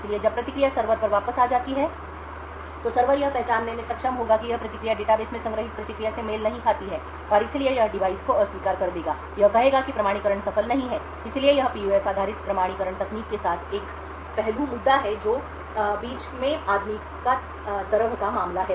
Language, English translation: Hindi, Therefore when the response goes back to the server, the server would be able to identify that this response does not match the response stored in the database and therefore it would reject the device, it would say that the authentication is not successful, so one aspect that is an issue with PUF based authentication technique is the case of the man in the middle